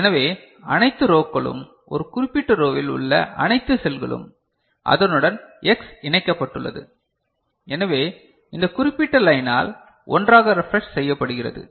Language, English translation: Tamil, So, all the rows, all the cells in a particular row, to which X is connected; so they get refreshed that you know together, by this particular line